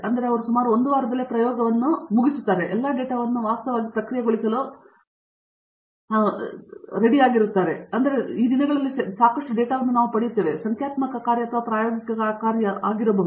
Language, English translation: Kannada, So that means they finish the experiment in about a week, get that student text to actually process all the data because there is just many times these days we are getting a lot of data, whether it is numerical work or experimental work